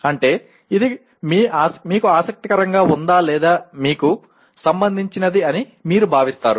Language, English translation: Telugu, That means you consider it is interesting or of relevance to you and so on